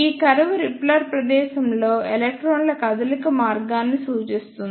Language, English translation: Telugu, These curves represent the path of movement of electrons in repeller space